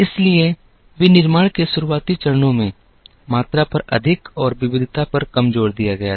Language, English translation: Hindi, So, in the early stages of manufacturing, the emphasis was more on volume and less on variety